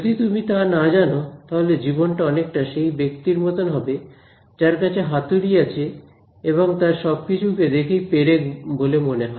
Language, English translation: Bengali, If you do not know that, then life becomes like that person who has a hammer; you know if you have a hammer everything, you see looks like a nail right